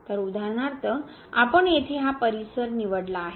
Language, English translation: Marathi, So, for example, we have chosen this neighborhood here